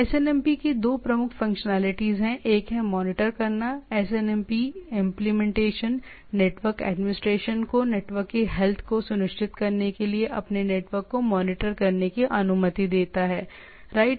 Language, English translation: Hindi, So, two major functionalities of SNMP one is monitor, SNMP implements implementation allow network administrators to monitor their networks in order to ensure the health of the network, right